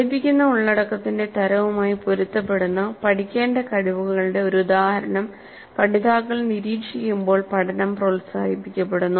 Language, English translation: Malayalam, Learning is promoted when learners observe a demonstration of the skills to be learned that is consistent with the type of content being taught